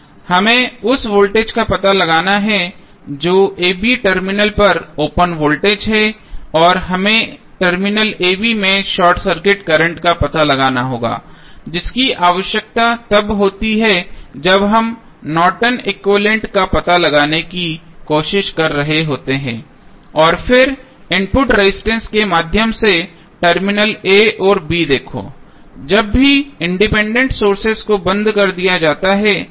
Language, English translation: Hindi, We have to find out the voltage that is open circuit voltage across terminal a, b and we need to find out short circuit current at terminal a, b which is required when we are trying to find out the Norton's equivalent and then input resistance across seen through the terminal a and b when all independent sources are turned off